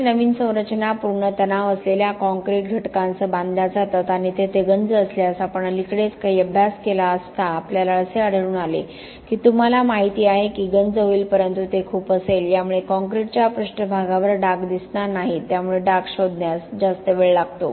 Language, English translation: Marathi, Lot of new structures are built with pre stressed concrete elements and there if there is corrosion, we recently did some study we found that, you know corrosion will happen but it will be very, it will not show stains on the concrete surface, rust stains so it takes longer to detect